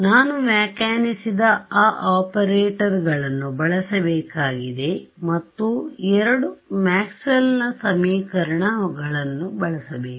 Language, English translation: Kannada, I have to use those operators which I have defined and use the two Maxwell’s equations ok